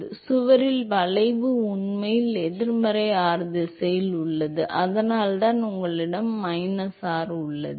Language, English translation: Tamil, Therefore the effect of the wall is actually in the negative r direction that is why you have a minus r